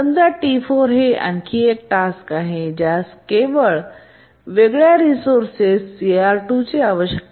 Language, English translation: Marathi, And let's say T4 is another task which is needing a different resource CR2